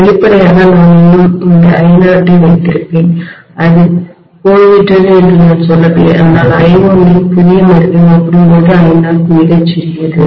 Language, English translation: Tamil, Obviously I will still have this I0 present, I am not saying that has gone away but this I not is miniscule as compared to the new value of I1